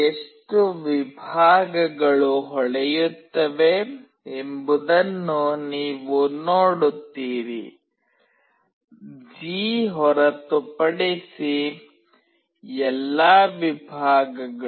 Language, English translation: Kannada, You see how many segments will glow, all the segments except G